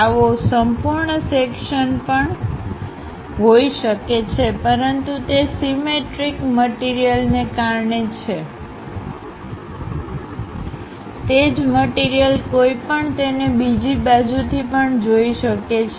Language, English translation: Gujarati, One can have complete section show that; but it is because of symmetric object, the same thing one will be in a position to sense it on the other side